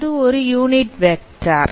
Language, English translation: Tamil, This is a unit vector